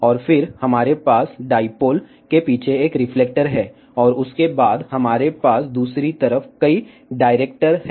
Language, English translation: Hindi, And then, we have a one reflector behind the dipole, and then after that we have multiple directors on the other side